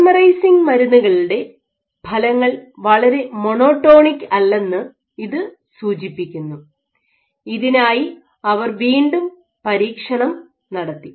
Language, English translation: Malayalam, So, this suggests that these effects of polymerizing drugs are highly non monotonic, they also did experiment ok